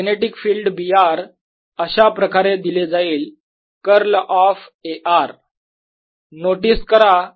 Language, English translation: Marathi, the magnetic field, b r is given as curl of a r